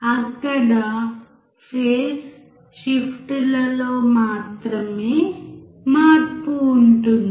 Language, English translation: Telugu, Only there will be change in the phase shifts